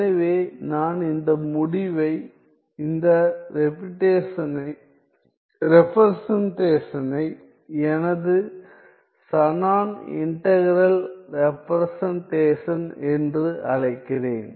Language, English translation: Tamil, So, I call this result, I call this representation as my Shannon integral representation